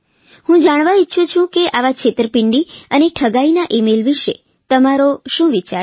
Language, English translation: Gujarati, What is your opinion about such cheat and fraud emails